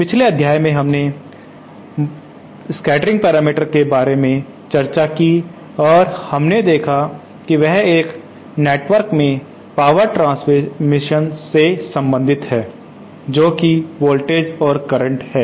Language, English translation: Hindi, In the previous module we had discussed about scattering parameters and we saw that they are related to the power transmission in a network that is then voltages and currents